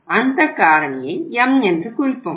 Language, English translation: Tamil, This factor is denoted with the M